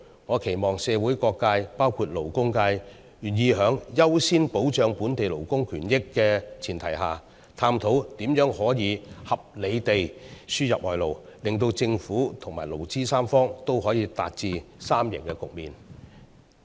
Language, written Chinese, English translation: Cantonese, 我期望社會各界願意在優先保障本地勞工權益的前提下，探討如何合理地輸入外勞，使政府和勞資三方可以達致三贏局面。, I hope that all sectors of the community including the labour sector are willing to explore the proper ways to import labour on the premise that priority is given to protecting the rights of local workers so that the Government the labour sector and the business sector can achieve a triple - win situation